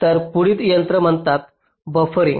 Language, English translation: Marathi, fine, so the next technique is called buffering